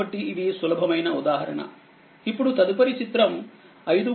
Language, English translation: Telugu, So, this easy example easy example, now, next one is figure 5